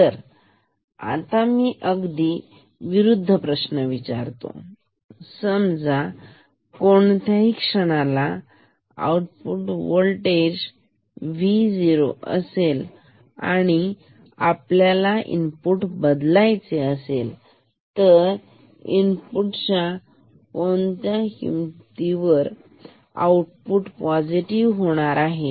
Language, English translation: Marathi, So, now, let me ask the completely opposite question that suppose at any moment V o is negative ok; and we can change V i the and what value of V i will make V o positive ok